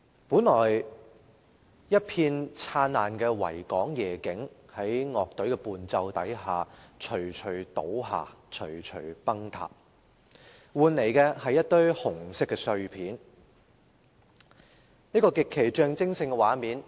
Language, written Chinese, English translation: Cantonese, 本來一片燦爛的維港夜景在樂隊的伴奏下，徐徐倒下，徐徐崩塌，換來的是一堆紅色的碎片，一個極其象徵性的畫面。, As the band played what was originally the spectacular nightscape of the Victoria Harbour collapsed slowly disintegrated slowly and turned into a mound of crimson debris in the end . This was a highly symbolic scene